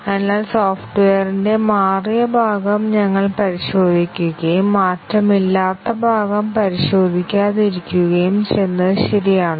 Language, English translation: Malayalam, So, is it ok that if we just test the changed part of the software and do not test the unchanged part